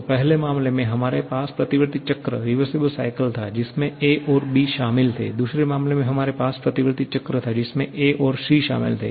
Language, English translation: Hindi, So, in the first case, we had reversible cycle comprising of ‘a’ and ‘b’, in the second case, we had reversible cycle comprising of ‘a’ and ‘c’